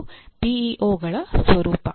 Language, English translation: Kannada, That is the role of PEOs